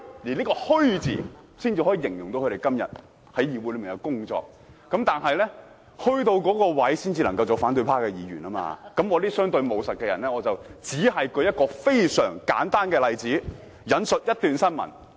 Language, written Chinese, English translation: Cantonese, 這個"虛"字才能形容他們今天在議會的工作，虛到一定程度才能做反對派議員，我這種相對務實的人只舉出一個非常簡單的例子，引述一段新聞，請......, Only when they are surrealist to a certain extent that they can be opposition Members . I being a pragmatic person will only give a very simple example . I will quote a news article and urge